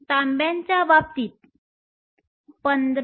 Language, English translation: Marathi, In the case of Copper, 15